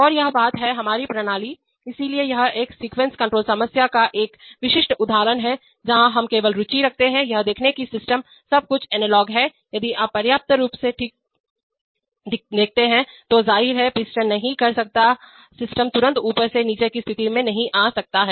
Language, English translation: Hindi, And this thing is the, is our system, so this is a typical example of a sequence control problem, where we are interested in only, see the system is everything is analog if you look fine enough, so, the obviously, the piston cannot the system cannot instantaneously come down from the up to the down state